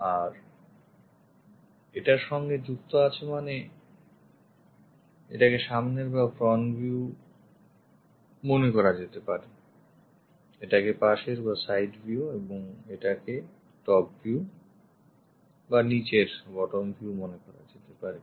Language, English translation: Bengali, And this one accompanied by, that means this is supposed to be the front view, this supposed to be the side view and this supposed to be the top view or bottom view